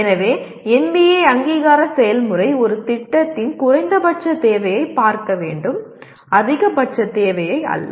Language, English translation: Tamil, So NBA accreditation process should be seen as looking at the minimum requirement of a program, not the maximum requirement